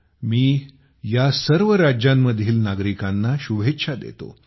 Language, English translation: Marathi, I convey my best wishes to the people of all these states